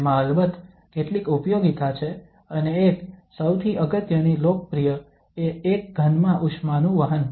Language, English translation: Gujarati, It has of course several applications and one, the most important popular one is the conduction of heat in a solid